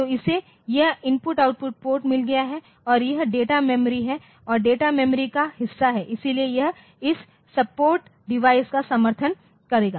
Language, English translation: Hindi, So, it has got this I/O ports and this that data memory is there and the data memory part so, it will support this support devices